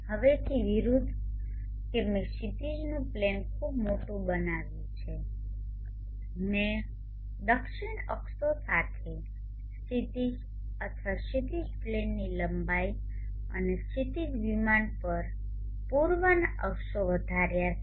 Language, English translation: Gujarati, Obverse now that I have made the horizon plane bigger much bigger I have increased the lens of the south axis or the horizon plane and the east axis on the horizon plane